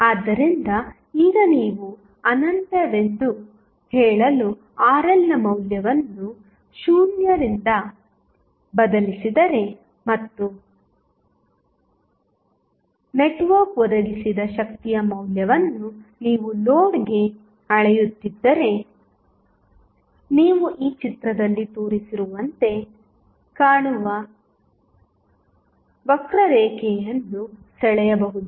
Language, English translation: Kannada, So, now, if you vary the value of Rl from 0 to say infinite and you measure the value of power supplied by the network to the load then you can draw a curve which will look like as shown in this figure